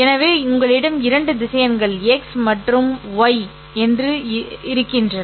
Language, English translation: Tamil, So, you have two vectors say x and y